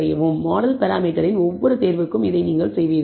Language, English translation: Tamil, This you will do for every choice of the model parameter